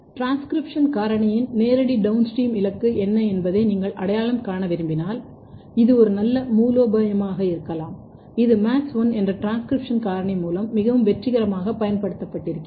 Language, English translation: Tamil, So, here what I am trying to tell you that if you want to identify, what is the direct downstream target of a transcription factor, this could be one very good strategy which has been very successfully used with one transcription factor which is MADS1